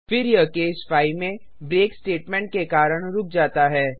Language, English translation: Hindi, Then it stops because of the break statement in case 5